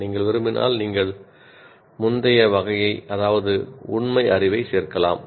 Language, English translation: Tamil, It is, if you want, you can also add the earlier category, namely factual knowledge